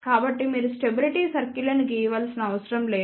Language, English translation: Telugu, So, you do not have to draw the stability circles